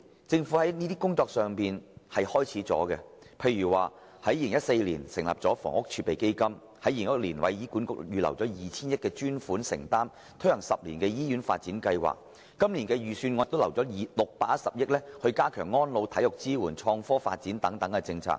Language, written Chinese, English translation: Cantonese, 政府在過去數年已展開有關工作，例如在2014年成立房屋儲備金，在2016年為醫院管理局預留 2,000 億元的專款承擔，以推行 "10 年醫院發展計劃"，而今年的預算案亦已預留610億元，加強安老、體育支援、創科發展等政策。, The Government has been working towards this direction over the past few years . For example a Housing Reserve was established in 2014 and a dedicated provision of 200 billion was earmarked in 2016 for the Hospital Authority HA to implement the 10 - year hospital development plan . On the other hand this years Budget has also set aside 61 billion to promote various policies on elderly care sports support services as well as the development of innovation and technology